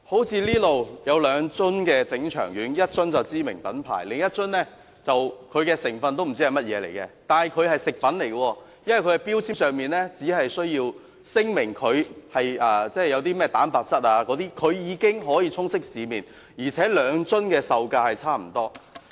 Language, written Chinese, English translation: Cantonese, 這裏有兩樽整腸丸，一樽是知名品牌，另一樽連成分是甚麼都不知道，但它是食品，因為其標籤上只需要聲明有甚麼蛋白質等，便已經可以充斥市面，而且兩樽的售價差不多。, I have two bottles of stomachic pills here one of which is by a well - known brand while the composition of the other one is unknown . It is a food product as only protein content and such is required to be declared on its label for it to be widely available in the market and the prices of the two bottles of product are almost the same